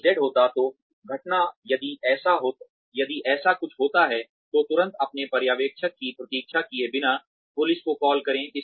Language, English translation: Hindi, If Z happens, then the incident, if something like this happens, immediately, without waiting for your supervisor, call the cops